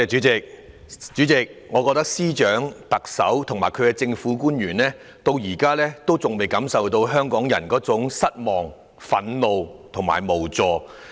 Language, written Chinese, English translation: Cantonese, 主席，我覺得司長、特首和政府官員現在還未感受到香港人的失望、憤怒和無助。, President I think even now the Chief Secretary the Chief Executive and the government officials still have not felt the despair anger and helplessness of Hongkongers